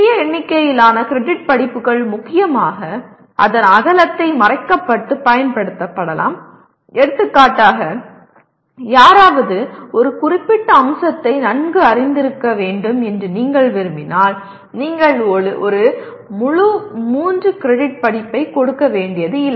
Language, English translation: Tamil, The smaller number of credit courses can be mainly used to cover the breadth of the, for example if you want someone to be want to be familiar with certain aspect you do not have to give a full fledged 3 credit course